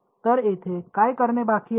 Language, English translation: Marathi, So, what remains to be done here